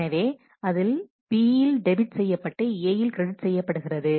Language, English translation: Tamil, So, it debits B here credits A here